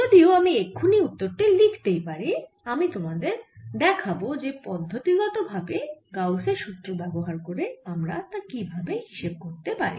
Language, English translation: Bengali, although i can write the answer right away, i'll show you how to systematically get it using gauss law